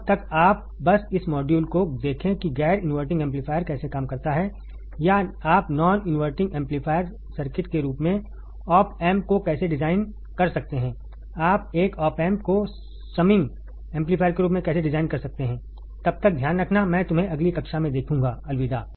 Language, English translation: Hindi, Till then you just look at this module understand how the non inverting amplifier works, or how you can design the opamp as a non inverting amplifier circuit, how you can design opamp as a inverting amplifier circuit, how you can design opamp as a summing amplifier all right